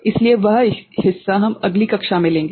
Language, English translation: Hindi, So, that part we shall take up in next class